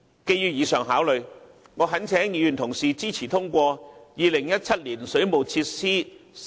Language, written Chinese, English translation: Cantonese, 基於上述考慮，我懇請議員同事支持通過《條例草案》。, In light of the above considerations I urge Members to support the passage of the Bill